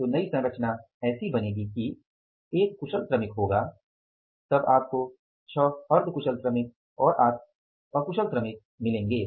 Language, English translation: Hindi, So, the new composition will become like that will be the one skilled worker, then you will get how many, six semi skilled workers and eight unskilled workers